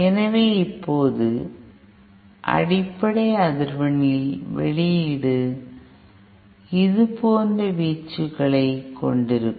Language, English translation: Tamil, So now so the output at the fundamental frequency will have amplitude given like this